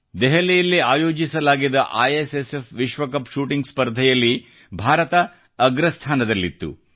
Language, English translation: Kannada, India bagged the top position during the ISSF World Cup shooting organised at Delhi